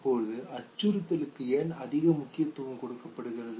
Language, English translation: Tamil, Now why is threat given so much of importance